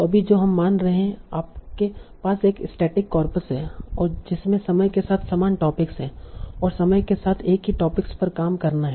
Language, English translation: Hindi, So you have a static corpus and in which there are the same topics over time, same set of topics over time